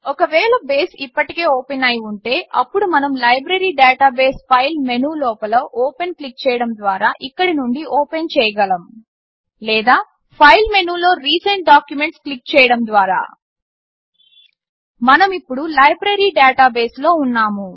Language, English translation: Telugu, If Base is already open, then we can open the Library database from here by clicking the Open inside the File menu or by clicking the Recent Documents inside the File menu Now we are in the Library Database